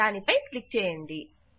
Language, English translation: Telugu, Click on that